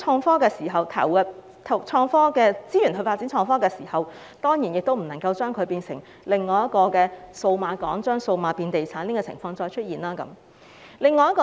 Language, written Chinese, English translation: Cantonese, 在投入資源發展創科時，亦要避免製造另一個數碼港，令"數碼變地產"的情況再次出現。, When allocating resources to foster IT development it is also necessary to avoid creating another Cyberport which may again end up turning digital development into real estate development